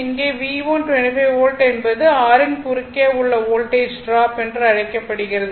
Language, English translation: Tamil, So, in this case as V 1 is 20 or what we call that V 1 Voltage drop across R that is your 25 volt is given